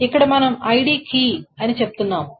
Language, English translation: Telugu, And here we are saying ID is the key